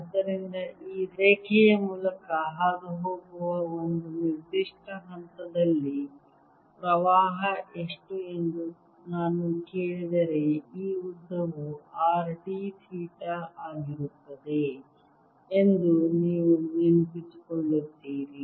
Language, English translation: Kannada, therefore, if i were to ask how much is the current at a certain point passing through this line, then you recall that this length is going to be r d theta